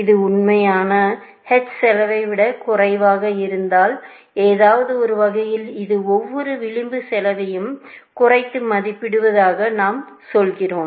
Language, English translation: Tamil, If this is less than the actual h cost, in some sense, we are saying that it is underestimating the edge, every edge cost, essentially